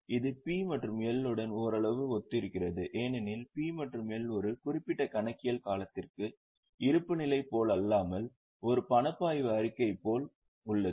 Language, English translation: Tamil, This is somewhat similar to P&L because P&L is also for a particular accounting period, cash flow statement is also for a particular accounting period unlike a balance sheet